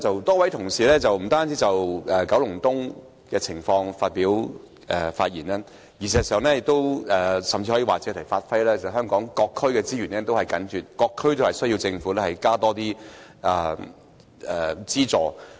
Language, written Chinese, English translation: Cantonese, 多位同事不單就九龍東的情況發言，事實上，甚至可說是借題發揮，指出香港各區資源緊絀的問題，各區也需要政府增撥資源。, A number of Honourable colleagues have spoken not only on the situation in Kowloon East . In fact it can even be said that they have made use of this subject to allude to other issues pointing out the shortage of resources in various districts in Hong Kong where the allocation of additional resources by the Government is necessary